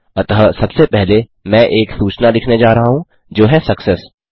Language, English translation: Hindi, So, first of all, I am going to write a message saying Success